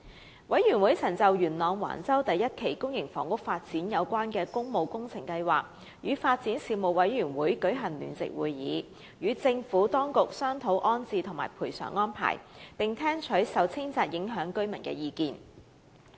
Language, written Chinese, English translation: Cantonese, 事務委員會曾就元朗橫洲第一期公營房屋發展有關的工務工程項目，與發展事務委員會舉行聯席會議，商討安置和賠償安排，並聽取受清拆影響居民的意見。, The Panel had held joint meetings with the Panel on Development to discuss the rehousing and compensation arrangements regarding the public housing development Phase 1 at Wang Chau Yuen Long and to receive views of those affected by the clearance operations